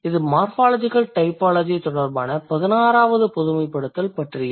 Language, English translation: Tamil, That is about the 16th generalization related to morphological typology